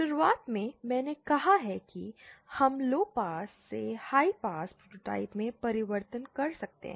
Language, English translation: Hindi, At the beginning, I have said that we can do a transformation from lowpass to high pass prototypes